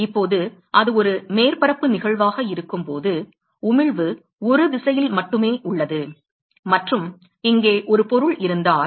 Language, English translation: Tamil, Now when it is a surface phenomena, the emission is only in the one direction and if there is a object here